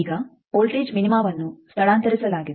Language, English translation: Kannada, Now, the voltage minima is shifted